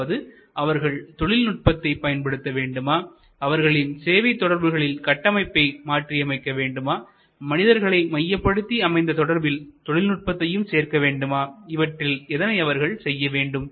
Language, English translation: Tamil, Should they employee technology, should they change the structure of their service network, should they blend the human centric network with technology centric network, where should they go